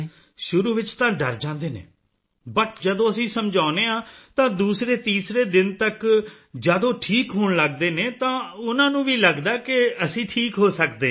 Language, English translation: Punjabi, Initially, they are scared, but when we have counselled and by the second or third day when they start recovering, they also start believing that they can be cured